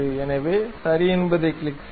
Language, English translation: Tamil, So, then click ok